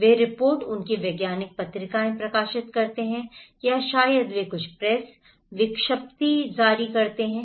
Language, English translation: Hindi, They publish reports, their scientific journals or maybe they do some press release